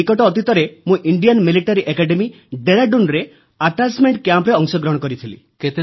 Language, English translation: Odia, I recently was a part of the attachment camp at Indian Military Academy, Dehradun